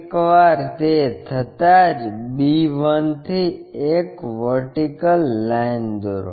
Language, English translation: Gujarati, Once it is drawn draw a vertical line from b 1